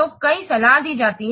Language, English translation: Hindi, So multiple letters are advised